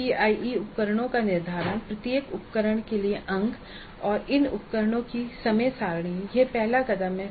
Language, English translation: Hindi, Determine the CIE instruments, marks for each instrument and the schedule for these instruments that is first step